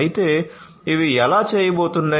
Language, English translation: Telugu, But how these are going to be done